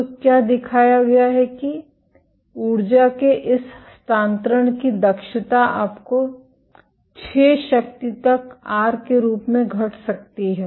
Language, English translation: Hindi, So, what has been shown that the efficiency of this transfer of energy you can have this decrease as r to the 6 power